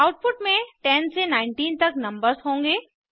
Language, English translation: Hindi, The output will consist of numbers 10 through 19